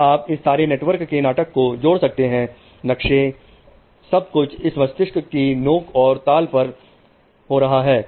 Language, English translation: Hindi, All this drama of network, maps, everything is going to happen through these spikes and brain rhythm